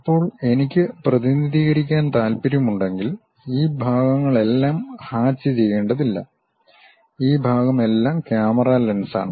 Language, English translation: Malayalam, Now, if I want to really represent, I do not have to just hatch all this part and all this part is a camera lens